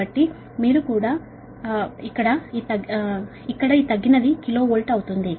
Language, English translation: Telugu, so this is also kilo watt